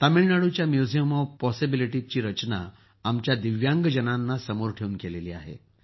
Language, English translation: Marathi, Tamil Nadu's Museum of Possibilities has been designed keeping in mind our Divyang people